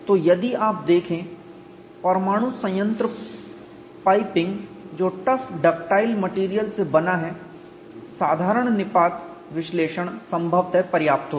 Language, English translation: Hindi, So, if you look at the nuclear plant piping which is made of tough ductile materials, ordinary plastic collapse analysis will possibly suffice